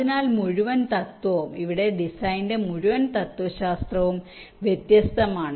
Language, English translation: Malayalam, so the entire principle, ah, the entire philosophy of design here is different